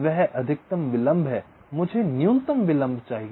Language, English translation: Hindi, that is the maximum delay, i want the minimum delay i want